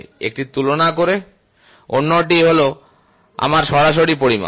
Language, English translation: Bengali, One is by comparison the other one is my direct measurement